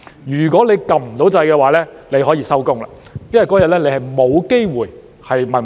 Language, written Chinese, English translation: Cantonese, 如果按不到掣，那便可以下班，因為當天不會有機會提問。, If we failed to press the button we could then call it a day because we would never get a chance to raise a question on that day